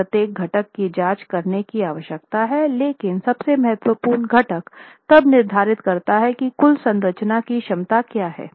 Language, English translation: Hindi, Now what is important is you need to check for every component but the most critical component then determines what is the total capacity of the structure